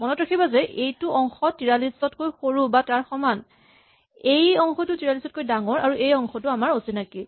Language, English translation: Assamese, Remember that this is the part which is less than equal to 43; this is the part that is greater than 43 and this part is unknown